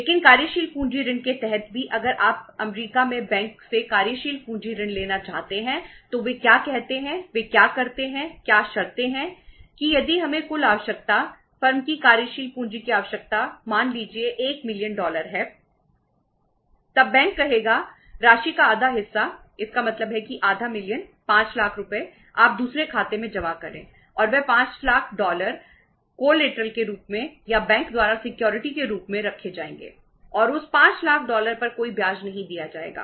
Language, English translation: Hindi, But under the working capital loan also if you want to borrow working capital loan from the bank there in US then what they say, what they do, what are the conditions that if we the total requirement, working capital requirement of the firm is say 1 million dollars